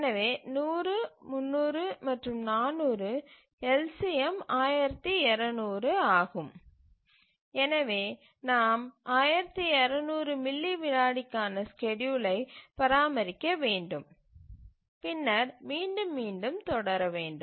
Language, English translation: Tamil, So, 100, 200 and so sorry 100, 300 and 400 the LCM is 1200 and therefore we need to maintain the schedule for 1,200 milliseconds and then keep on repeating that